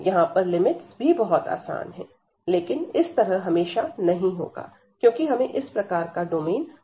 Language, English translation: Hindi, And here the getting the limits are also much easier, but this is not always the case, because we do not have a such nice domain all the time